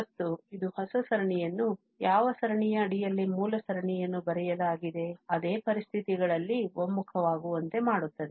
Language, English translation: Kannada, And, that makes the new series difficult to converge under the same conditions, under which the series, the original series was written